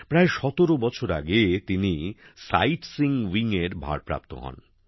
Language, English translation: Bengali, About 17 years ago, he was given a responsibility in the Sightseeing wing